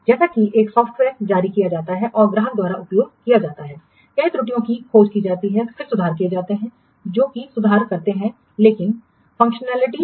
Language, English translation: Hindi, As a software is released and used by the customers, many errors are discovered and then enhancements are made to what improve the functionalities